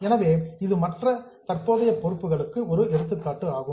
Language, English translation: Tamil, So, it is an example of other current liabilities